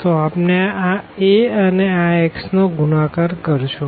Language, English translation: Gujarati, So, if you multiply this A and this x